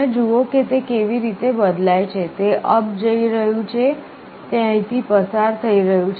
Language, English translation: Gujarati, You see how it changes, it is going up it is out here it is crossing